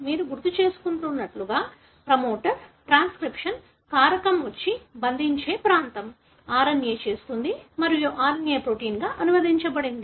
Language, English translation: Telugu, The promoter as you recall, is a region on to which a transcription factor comes and binds, makes RNA and the RNA is translated into the protein